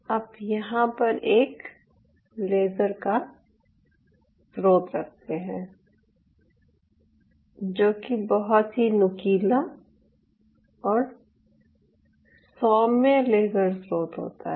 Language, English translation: Hindi, you place a laser source here, a very pointed laser source, we and a very benign laser source